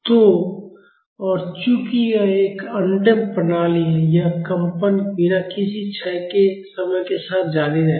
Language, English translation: Hindi, So, and since this is an undamped system, this vibration will continue without any decay in time